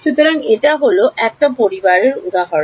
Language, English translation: Bengali, So, there are there are families of these things example